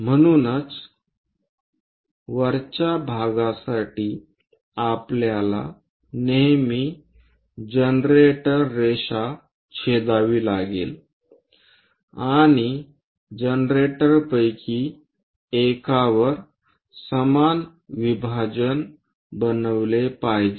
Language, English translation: Marathi, So, for the top one, we always have to intersect generator generator line and the equal division made on one of the generator